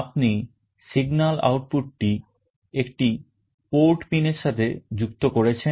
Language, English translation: Bengali, You connect the signal output to one of the port pins